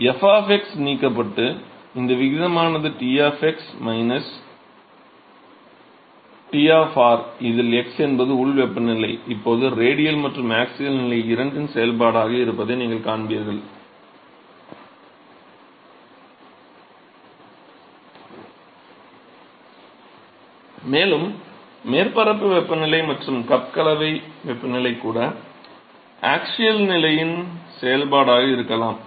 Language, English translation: Tamil, So, you will see that this ratio Ts of x, minus T of r,x where the local temperature is now a function of both radial and the axial position, and not just that the surface temperature and even the cup mixing temperature both of them can be a function of the axial position